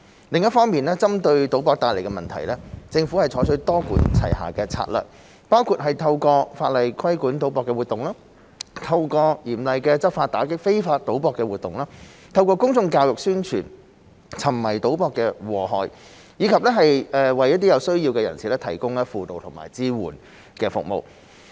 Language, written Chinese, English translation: Cantonese, 另一方面，針對賭博帶來的問題，政府採取多管齊下的策略，包括透過法例規管賭博活動、透過嚴厲的執法打擊非法賭博活動、透過公眾教育宣傳沉迷賭博的禍害，以及為有需要人士提供輔導和支援服務。, On another front to address problems caused by gambling the Government adopts a multi - pronged strategy including regulation over gambling activities through legislation stringent law enforcement against illegal gambling public education and publicity on harm of gambling addiction and provision of counselling and support services to people in need